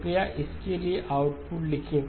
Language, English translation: Hindi, Please write down the output for this